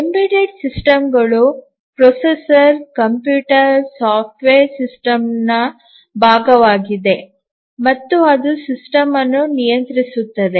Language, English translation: Kannada, The embedded systems are the ones where the processor, the computer, the software is part of the system and it controls the system